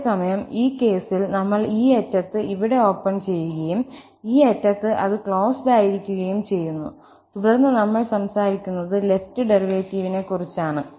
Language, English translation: Malayalam, Whereas, in this case, we have open here in this end and close it at this end, then we are talking about the left derivative